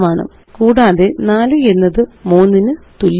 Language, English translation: Malayalam, 4 times 3 is equal to 12